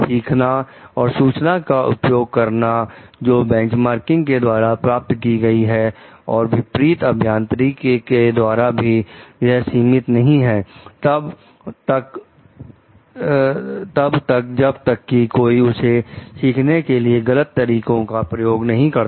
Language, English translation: Hindi, Learning and using the information obtained through benchmarking and reverse engineering are not like restricted as long as, one not has used any unfair means to learn it